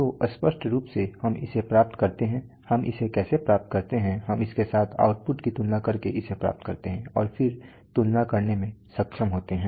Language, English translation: Hindi, So obviously we achieve it how do we achieve it, we achieve it by comparing the output with whatever we want and then so to be able to compare